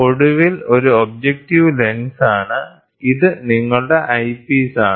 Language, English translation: Malayalam, So then finally, this is the objective lens this is the objective lens and this is your eyepiece